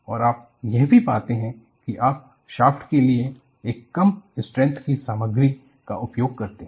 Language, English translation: Hindi, And also you find, you use the low strength material for shaft